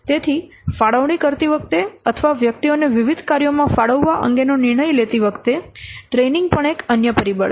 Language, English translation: Gujarati, So, training is also another factor while allocating or while taking the decision regarding allocation of individuals to different tax